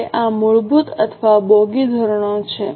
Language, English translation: Gujarati, Now, this is basic or bogie standards